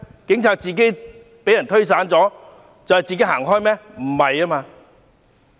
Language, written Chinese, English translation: Cantonese, 警察陣型被推散後自行離開嗎？, Did they take the initiative to withdraw after their cordon line was broken through?